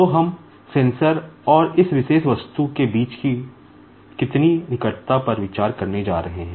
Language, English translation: Hindi, So, how much closeness we are going to consider between the sensor and this particular object